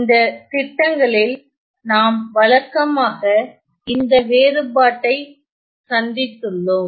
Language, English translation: Tamil, So, in those schemes we often encounter these differences